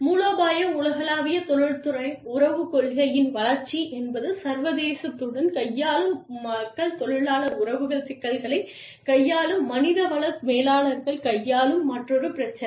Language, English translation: Tamil, Development of strategic global industrial relations policy, is another issue that, people dealing with international, the human resource managers dealing with labor relations issues, deal with